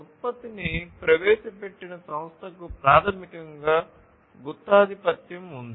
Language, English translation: Telugu, So, the company which introduced the product basically has monopoly